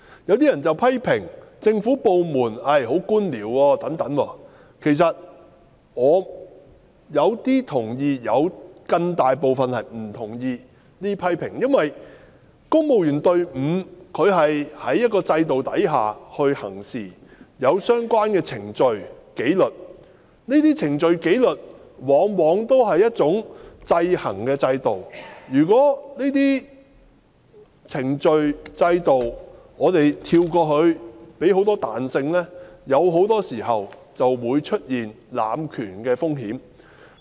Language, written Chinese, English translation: Cantonese, 有些人批評政府部門存在官僚作風，其實我對這些批評有部分同意，但有更大部分不同意，因為公務員隊伍是在一個制度下行事，他們有相關的程序和紀律，而這些程序和紀律往往屬於一種制衡的制度；如果跳過這些程序和制度，賦予他們許多彈性，往往會出現濫權的風險。, Some people criticize government departments for their bureaucratic style . Actually I agree with some of these criticisms but disagree with most of them because the civil service is acting under a system in which the relevant procedures and disciplinary rules often provide checks and balances so skipping them to allow great flexibility would likely give rise to the risk of abuse